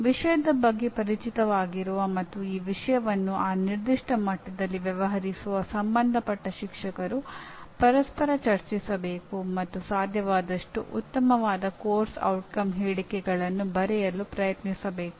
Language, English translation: Kannada, That the concerned teachers who are familiar with the subject matter and dealing with that subject matter at that particular level should discuss with each other and try to come with best possible set of course outcome statements